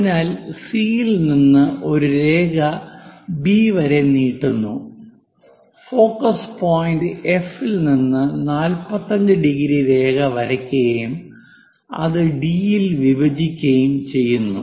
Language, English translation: Malayalam, So, that a line passing from C all the way B we extended it and a line at 45 degrees from focus point F, so that is going to intersect at D